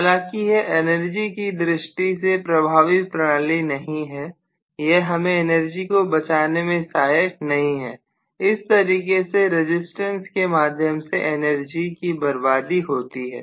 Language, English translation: Hindi, although it is not energy efficient, it is not really allowing you to save energy, it is only dissipating the energy in the resistance